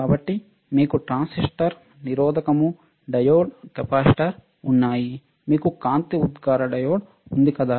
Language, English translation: Telugu, So, you have transistors resistor, diode, capacitor, you have light emitting diode, isn't it